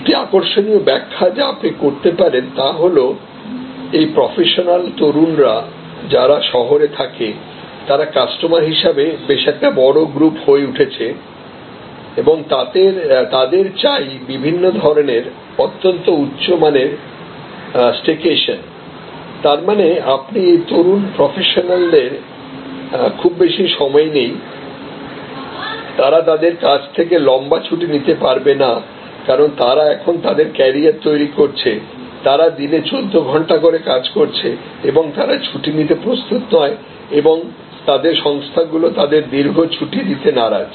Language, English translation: Bengali, An interesting explanation that you can do is this young urban professionals they are actually and emerging big group of consumers and for them different types of very high quality crash or staycations; that means, you this young professionals you do not have much of time they cannot take a long vocation, because they are building, they are carrier, they are working a 14 hours a day and they are not prepared to take leave or their organization is reluctant to give them long leave